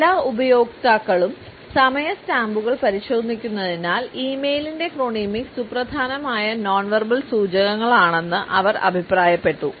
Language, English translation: Malayalam, They have suggested that chronemics of e mail are significant nonverbal cues as all users check the time stamps